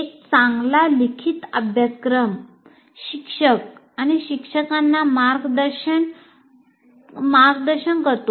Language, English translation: Marathi, A well written syllabus guides faculty and students alike